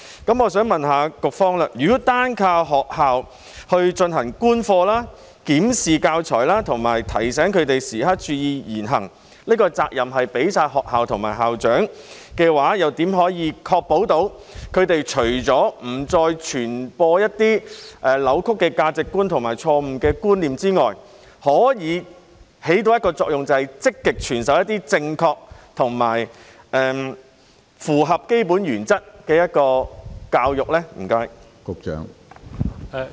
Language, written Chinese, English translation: Cantonese, 那麼，我想問局方，如果單靠學校進行觀課、檢視教材和提醒教師時刻注意言行，把責任全交給學校和校長的話，又如何確保教師除了不再傳播一些扭曲的價值觀和錯誤的觀念之外，可以產生一個作用，便是積極傳授一些正確和符合基本原則的教育呢？, In that case I would like to ask the Bureau a question . If it solely relies on the schools to observe the teaching in classes review the teaching materials and remind teachers to be mindful of their words and conduct leaving all responsibilities to schools and principals how can it ensure that the teachers instead of disseminating some distorted sense of values and incorrect concepts can have the function of imparting a kind of education with correct concepts and in line with basic principles?